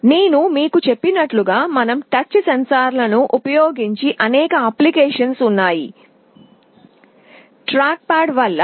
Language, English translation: Telugu, As I told you there are many applications where we use touch sensors; like track pads